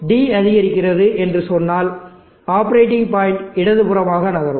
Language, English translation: Tamil, So let us say D is increasing, the operating point will be moving to the left